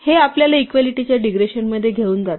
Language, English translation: Marathi, This leads us to a digression on equality